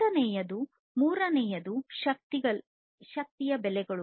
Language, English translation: Kannada, The second, the third one is the energy prices